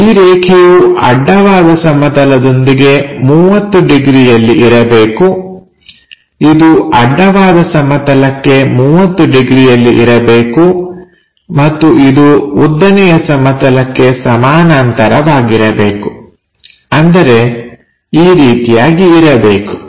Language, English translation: Kannada, Is supposed to make 30 degrees to horizontal plane, 30 degrees to horizontal plane and it is parallel means it should be in that way